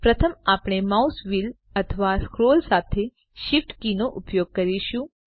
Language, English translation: Gujarati, First we use the Shift key with the mouse wheel or scroll